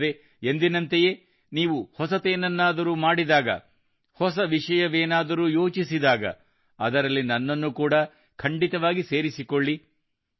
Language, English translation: Kannada, And yes, as always, whenever you do something new, think new, then definitely include me in that